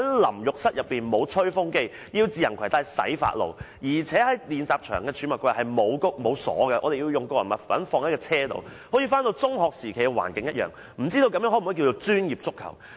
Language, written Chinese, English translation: Cantonese, 淋浴室內沒有吹風機，要自行攜帶洗髮露，而且練習場的儲物櫃沒有提供鎖，我們要把個人物品放在車上，好像回到中學時期的環境一樣，不知這可否稱為專業足球？, The shower room does not have a hair dryer and we need to bring our own shampoo . The locker in the training venue does not have a lock and we have to put all our personal belongings in the car . I feel like returning to secondary school days